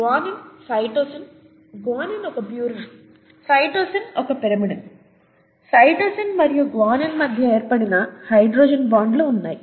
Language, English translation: Telugu, And guanine, cytosine, okay, guanine is a purine, cytosine is a pyrimidine; you have the hydrogen bonds that are formed between cytosine and guanine, okay